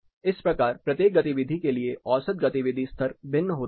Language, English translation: Hindi, So, the average activity level varies for each of this activity